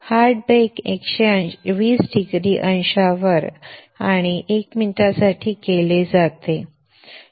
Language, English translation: Marathi, Hard bake is done at 120 degrees and for 1 minute